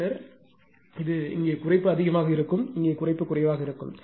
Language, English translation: Tamil, Then compared to this one it will be ah it will be ah here reduction will more; here reduction will be less